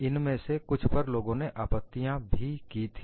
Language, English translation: Hindi, Some of these were questioned by people